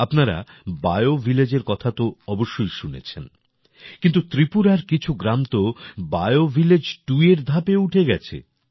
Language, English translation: Bengali, You must have heard about BioVillage, but some villages of Tripura have ascended to the level of BioVillage 2